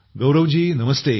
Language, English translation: Marathi, Gaurav ji Namaste